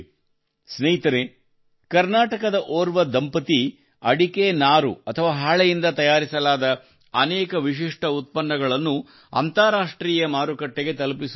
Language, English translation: Kannada, Friends, a couple from Karnataka is sending many unique products made from betelnut fiber to the international market